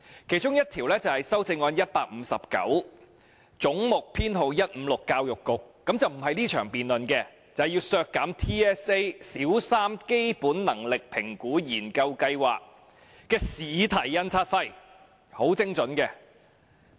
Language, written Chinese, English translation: Cantonese, 其中一項是修正案編號 159，" 總目 156― 政府總部：教育局"，不屬於這場辯論，是要削減 TSA 小三基本能力評估研究計劃的試題印刷費，是很精準的。, One of them is Amendment No . 159 to Head 156―Government Secretariat Education Bureau which is not covered by this debate session . It is precisely cutting the printing costs of the question papers for the Territory - wide System Assessment TSA or Basic Competency Assessment Research Study